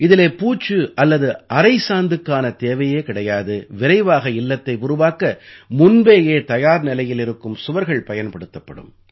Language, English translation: Tamil, In this plaster and paint will not be required and walls prepared in advance will be used to build houses faster